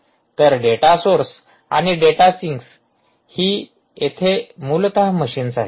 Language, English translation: Marathi, ok, so data sources and data syncs are essentially machines